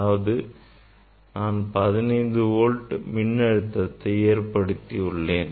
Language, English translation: Tamil, I have applied voltage 15 volt